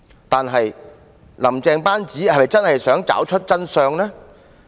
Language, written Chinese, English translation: Cantonese, 但是，"林鄭"班子是否真心想找出真相？, Yet does Carrie LAMs team really wish to uncover the truth?